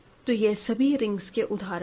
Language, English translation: Hindi, So, let us look at another ring